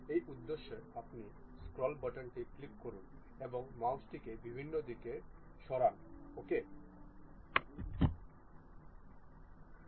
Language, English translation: Bengali, For that purpose you click your scroll button, click and move the mouse in different directions ok